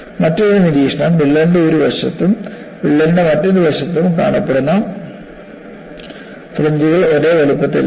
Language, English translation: Malayalam, Another observation is, the fringes, which are seen on one side of the crack and another side of the crack are not of same size